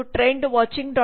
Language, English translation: Kannada, com and trendwatching